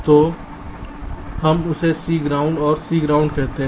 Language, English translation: Hindi, so lets call it c ground and c ground